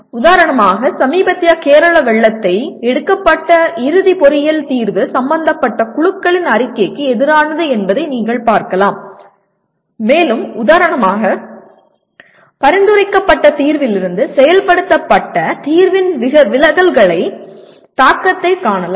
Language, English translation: Tamil, That is one can inspect for example you can look at the recent Kerala floods and the kind of final engineering solution that is produced was against the report of the concerned committees and one can see the amount of for example the impact of the deviations from of implemented solution to the suggested solution